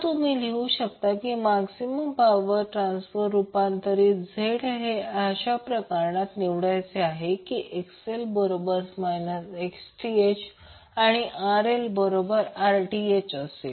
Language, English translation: Marathi, So, what you can write now that for maximum average power transfer ZL should be selected in such a way, that XL should be equal to the minus Xth and RL should be equal to Rth